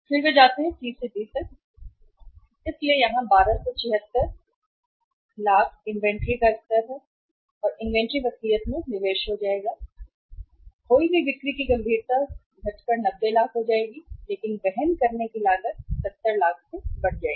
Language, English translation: Hindi, Then they go from the C to D, so here it is 1276 inventory level will become investment in the inventory will go up to 1276 lakhs and lost sales will seriously come down to 90 lakhs but the carrying cost will go up to 70 lakhs